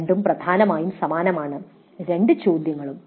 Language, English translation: Malayalam, Both are same essentially both questions